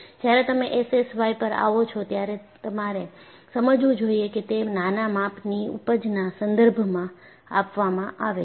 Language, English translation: Gujarati, So, when you come across S S Y, you should understand that it refers to Small Scale Yielding